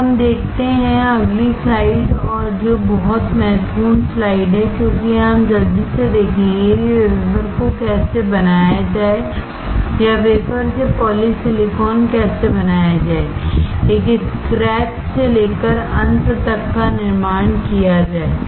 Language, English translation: Hindi, Let us see, the next slide and which is very important slide because here we will quickly see how to form the wafer or manufacture the wafer from polysilicon, from scratch till the end